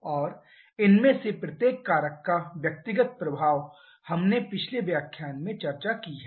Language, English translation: Hindi, And individual effect of each of these factors we have discussed in the previous lecture